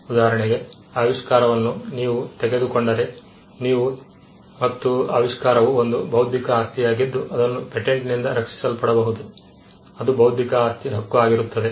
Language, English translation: Kannada, For instance, if you look at if you look at invention, and invention is an intellectual property which can be protected by a patent, which is an intellectual property right